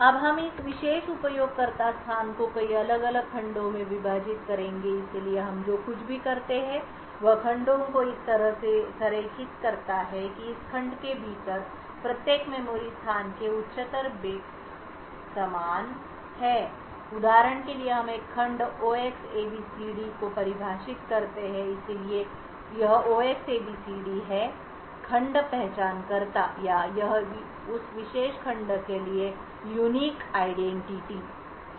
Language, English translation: Hindi, Now we would divide this particular user space into several different segments so what we do is align the segments in such a way that the higher order bits within each memory location within this segment are the same for example we define a segment 0xabcd so this 0Xabcd is the segment identifier or this is the unique identifier for that particular segment